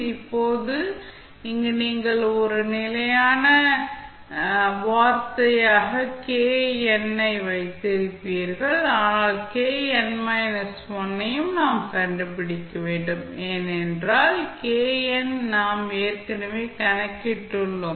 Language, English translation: Tamil, Now, in this case, you will have k n as a constant term, but we need to find out k n minus 1 because k n we have already calculated